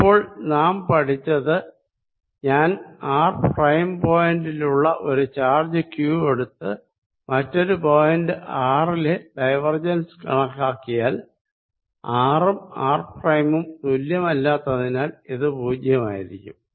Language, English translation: Malayalam, so what we have learned is: if i take a point charge q at position r prime and calculate divergence of e at some point r, this is zero for r not equal to r, right